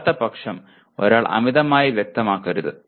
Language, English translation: Malayalam, But otherwise, one should not over specify